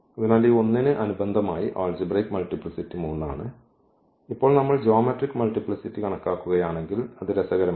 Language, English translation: Malayalam, So, corresponding to this 1 so; algebraic multiplicity is 3 and if we compute the geometric multiplicity now that is interesting